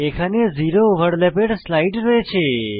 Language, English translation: Bengali, Here is a slide for zero overlap